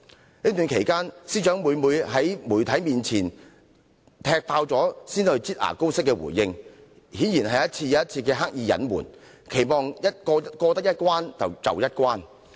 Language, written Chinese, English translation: Cantonese, 在這段期間，司長每次都在傳媒"踢爆"時才以"擠牙膏"的方式回應，顯然是一而再地刻意隱瞞，期望過一關得一關。, During the past period of time whenever the media revealed something the Secretary for Justice would subsequently respond in a manner of squeezing toothpaste out of a tube . Apparently she has deliberately concealed facts time and again in the hope of getting away with it